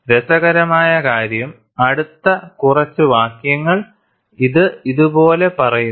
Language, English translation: Malayalam, And what is interesting is, the next few sentences, it says like this